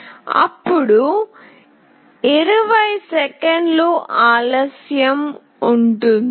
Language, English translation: Telugu, Then there is a delay of 20 seconds